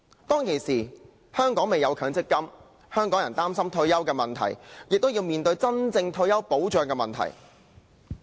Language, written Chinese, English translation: Cantonese, 當時，香港尚未有強制性公積金制度，香港人擔心退休的問題，也要面對退休保障的問題。, The people of Hong Kong were worried about their retirement and faced the question of retirement protection